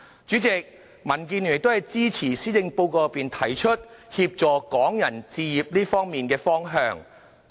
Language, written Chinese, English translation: Cantonese, 主席，民建聯亦支持施政報告內，提出協助港人置業的方向。, President DAB also supports the direction suggested in the Policy Address of helping Hong Kong people to buy their own homes